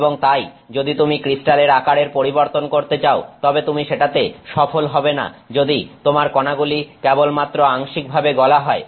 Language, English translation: Bengali, And so, if you want to do if you want to change the crystal size, you will not accomplish that if you only have a partially melted particle